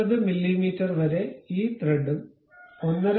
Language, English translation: Malayalam, So, up to 20 mm we would like to have this thread and 1